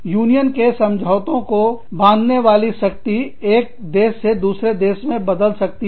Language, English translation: Hindi, Binding force of union agreements, could vary from country to country